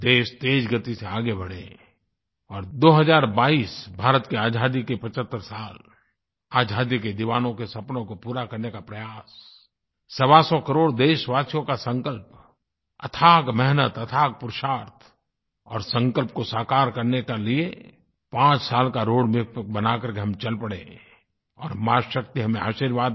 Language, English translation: Hindi, May the nation move forward and may the year two thousand twenty two 75 years of India's Independence be an attempt to realize the dreams of our freedom fighters, the resolve of 125 crore countrymen, with their tremendous hard work, courage and determination to fulfill our resolve and prepare a roadmap for five years